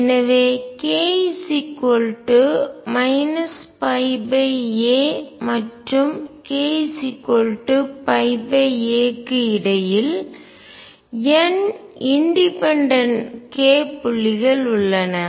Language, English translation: Tamil, So, between k equals minus pi by a and k equals pi by a, there are n independent k points